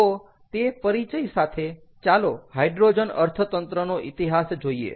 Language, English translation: Gujarati, lets look at the history of hydrogen economy